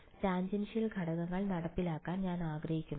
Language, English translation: Malayalam, I want to enforce tangential components